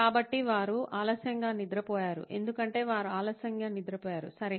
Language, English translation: Telugu, So they woke up late because they slept late, okay